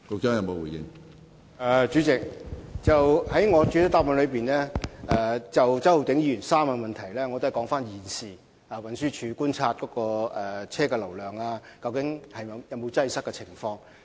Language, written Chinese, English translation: Cantonese, 主席，就周浩鼎議員的3部分質詢，我在主體答覆已指出現時運輸署所觀察到的車輛流量和交通擠塞情況。, President regarding the three parts of the question raised by Mr Holden CHOW I have already pointed out in the main reply the vehicle flow and traffic congestion according to the current observations of TD